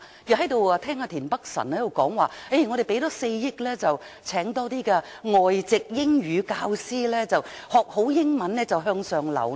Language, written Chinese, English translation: Cantonese, 我聽到田北辰議員說，我們多投放4億元聘請較多外籍英語教師，學好英語便能向上流動。, Mr Michael TIEN says that the Government should spend an additional 400 million on employing more Native - speaking English Teachers NETs so that people can improve their English and then move up the social ladder